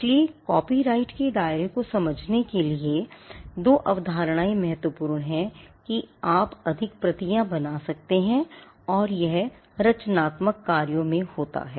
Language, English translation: Hindi, So, these two concepts are important to understand the scope of copyright the fact that you can make more copies and it subsists in creative works